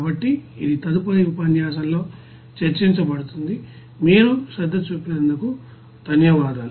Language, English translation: Telugu, So it will be discussed in the next lecture, so thank you for giving attention for this lecture